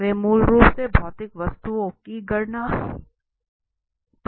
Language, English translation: Hindi, They are basically based on counts usually of physical objects